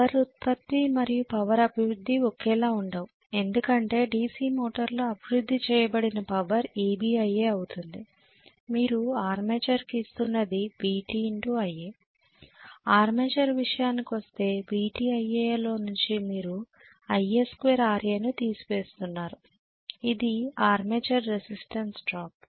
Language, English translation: Telugu, Power output and power developed or not the same because power developed in a DC motor will be EB multiplied by IA right, what you are giving is VT multiplied by IA as far as the armature is concerned, VT multiplied by IA you are subtracting IA square RA which is the armature resistance drop right